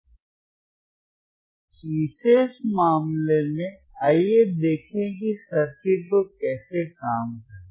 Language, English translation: Hindi, So, in this particular case, let us see how the circuit will work, let us see how the circuit will work, right